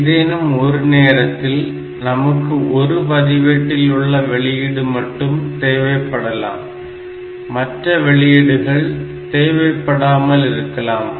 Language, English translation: Tamil, Now at any point of time I may want that output of only one register be available and others are not